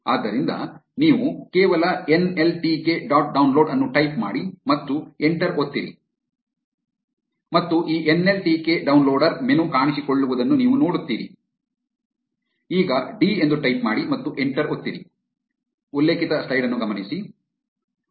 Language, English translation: Kannada, So, you just type nltk dot download and press enter and you will see this nltk downloader menu appear now type d and press enter